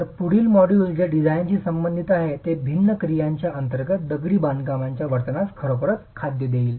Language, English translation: Marathi, So the next module which will deal with design is going to be really feeding into the behavior of masonry under different actions